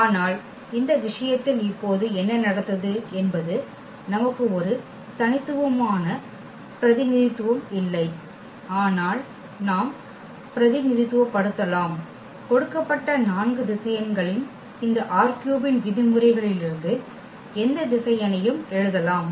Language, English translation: Tamil, But what happened now in this case we do not have a unique representation, but we can represented, we can write down any vector from this R 3 in terms of these given four vectors